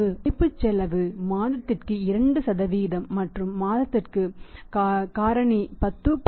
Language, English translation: Tamil, Opportunity cost 2% per month and for a period of discount factor for 10